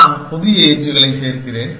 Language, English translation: Tamil, I adding new edges